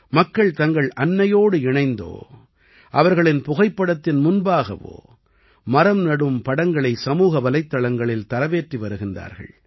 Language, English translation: Tamil, On social media, People are sharing pictures of planting trees with their mothers or with their photographs